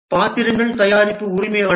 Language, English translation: Tamil, The roles are product owner